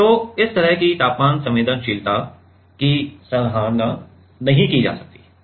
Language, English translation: Hindi, So, this kind of temperature sensitivity is not appreciated